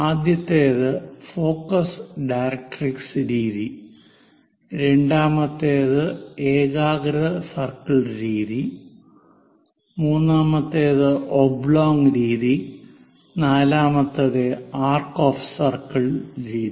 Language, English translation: Malayalam, In principle, there are four methods available Focus Directrix method, second one is Concentric circle method, third one is Oblong method, and fourth one is Arc of circle method